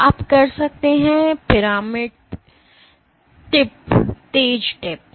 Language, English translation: Hindi, So, you can have pyramidal tips sharp tips